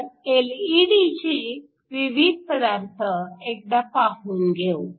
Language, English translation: Marathi, So, just like to look at the different LED materials